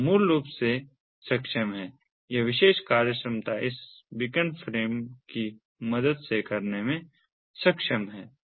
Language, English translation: Hindi, this particular functionality is enabled with the help of this beacon frames